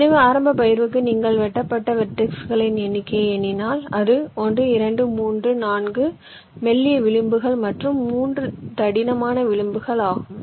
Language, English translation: Tamil, so for initial partition, if you just count the number of vertices which are cut, it is one, two, three, four thin edges and three thick edges